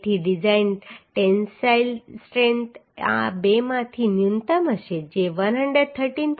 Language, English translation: Gujarati, 36 right So the design tensile strength will be minimum of these two which is 113